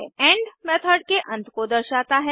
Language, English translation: Hindi, end marks the end of method